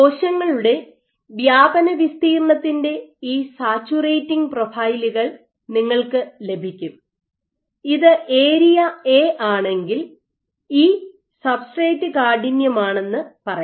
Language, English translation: Malayalam, And what you will get you will get these saturating profiles of cells spread area and you can fit if this is my area A and let us say E is a substrate stiffness